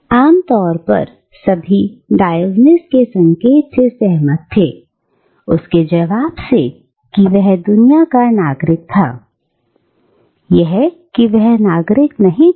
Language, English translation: Hindi, Now, it is generally agreed that what Diogenes was indicating, by his answer, that he was a citizen of the world, was that he was no citizen at all